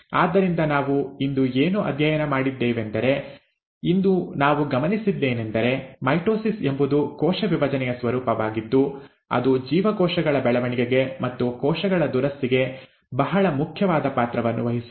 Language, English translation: Kannada, So, what did we study today, what we observed today is that mitosis is that form of cell division which plays a very important role in cell growth and cell repair